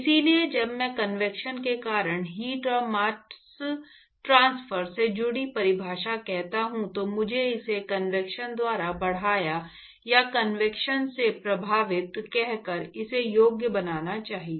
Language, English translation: Hindi, So, when I say definition associated with heat and mass transfer due to convection, I should rather qualify it by saying enhanced by convection or affected by convection